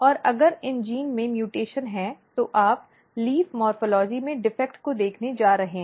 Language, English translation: Hindi, And if you have mutation in that you are going to see the defect in the leaf morphology